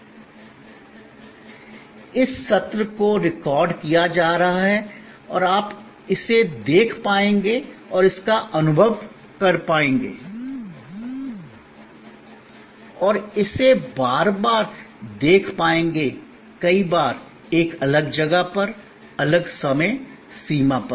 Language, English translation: Hindi, Like for example, this session is being recorded and you would be able to see it and experience it and view it again and again, number of times, at a different place, different time frame